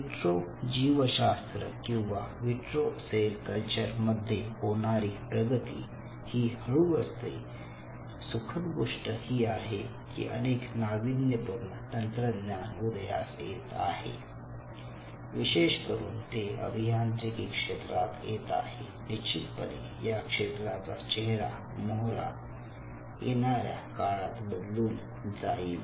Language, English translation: Marathi, but the whole field of in vitro biology or in vitro cell culture is a slow moving field and there are a lot of emerging technologies which are coming up, mostly from the engineering background, which will change the face of this whole area in years to come